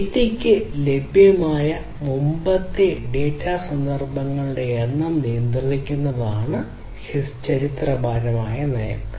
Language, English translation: Malayalam, History policy is about controlling the number of previous data instances available to the data